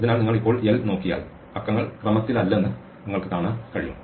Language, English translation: Malayalam, So, if you look at l now you can see that the numbers are no longer in order